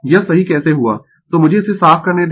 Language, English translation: Hindi, How we made it right so let me clear it